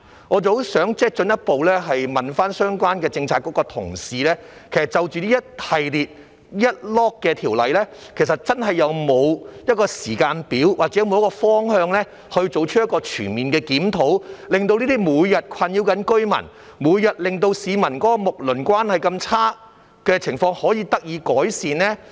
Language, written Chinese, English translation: Cantonese, 我想進一步詢問相關政策局的同事，就這一系列條例，其實真的有沒有一個時間表，或有沒有方向，作出一個全面的檢討，令這些每天困擾着居民，每天令市民的睦鄰關係如此差的情況，可以得到改善呢？, I would like to further put a question to colleagues of the relevant Policy Bureau . Regarding this series of ordinances is there really a timetable or a direction for conducting a comprehensive review so that the situation which has been bothering the residents and jeopardizing harmonious community relationships every day can be improved?